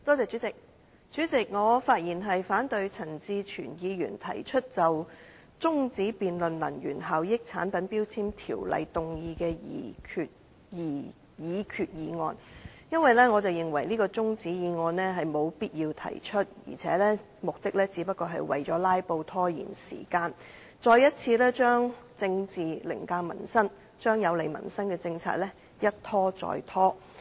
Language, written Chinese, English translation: Cantonese, 主席，我發言反對陳志全議員提出中止辯論根據《能源效益條例》動議的擬議決議案，因為我認為沒必要提出這項中止辯論議案，而且議員的目的只是為了"拉布"以拖延時間，再次把政治凌駕民生，把有利民生的政策一再拖延。, President I rise to speak against the motion proposed by Mr CHAN Chi - chuen to adjourn the debate on the proposed resolution under the Energy Efficiency Ordinance because the adjournment motion is unnecessary . Moreover the Member seeks merely to stage a filibuster as a delaying tactic and once again put politics over peoples livelihood thereby further delaying initiatives conducive to peoples livelihood